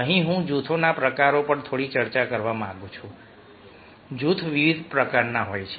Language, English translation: Gujarati, here i would like to discuss little bit on the types of groups